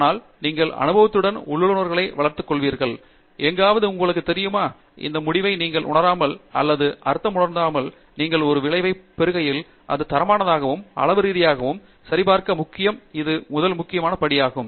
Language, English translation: Tamil, But, you do develop the intuition with experience and somewhere you know, that this result make sense or does not make sense which means, that when you get a result it is important to validate it qualitatively and quantitatively, that is the first important step